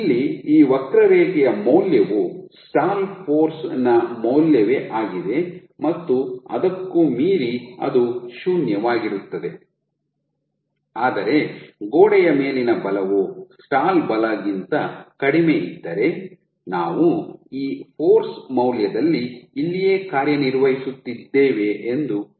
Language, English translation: Kannada, So, the value for this curve, for this system here you will have the same value of the stall force and beyond also it will be 0, but imagine that if the force on the wall is less than the stall force let us say we have operating somewhere here at this value of force